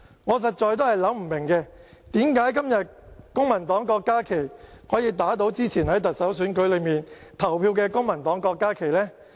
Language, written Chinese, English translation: Cantonese, 我實在想不通，為甚麼今天公民黨的郭家麒議員可以打倒之前在特首選舉裏投票的公民黨郭家麒議員呢？, I really cannot understand why Dr KWOK Ka - ki from the Civic Party today can knock down Dr KWOK Ka - ki from the Civic Party who cast his vote previously in the Chief Executive Election